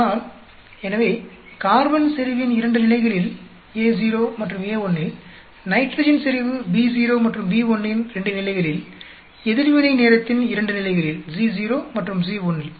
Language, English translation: Tamil, But, so at 2 levels of carbon concentration, in A naught and A1, at 2 levels of the nitrogen concentration B naught and B1; at 2 levels of reaction time C naught and C1